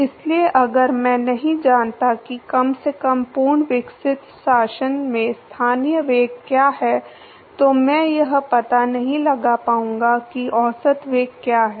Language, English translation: Hindi, So, if I do not know what the local velocity is at least in fully developed regime then I will not be able to find out what is the average velocity